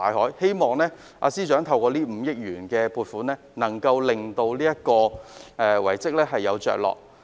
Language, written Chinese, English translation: Cantonese, 我希望這5億元的撥款可令這項遺蹟有着落。, I hope that the 500 million funding will enable this relic to be taken care of